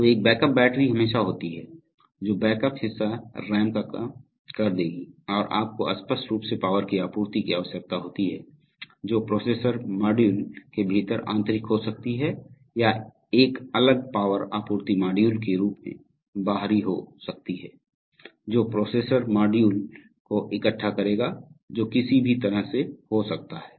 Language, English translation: Hindi, So there is a backup battery always which will backup part of the RAM and you obviously need the power supply which is, which could be internal within the processor module or it could be external as a separate power supply module which will collect to the processor module it could be either way